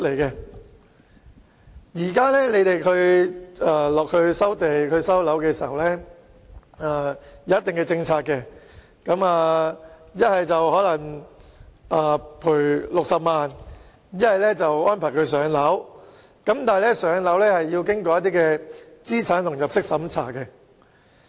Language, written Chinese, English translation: Cantonese, 現時當局有既定的收地和收樓政策，要麼賠償60萬元，不然就安排居民"上樓"，但"上樓"卻需要經過資產和入息審查。, Under the established premises and land recovery policies residents will either receive a compensation of 600,000 or move into a public housing . However the latter option is subject to income and asset tests